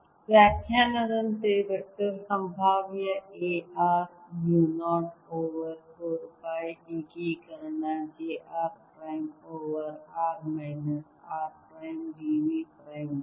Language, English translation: Kannada, by definition, the vector potential a r will be equal to mu naught over four pi integration: j r prime over r minus r prime, d v prime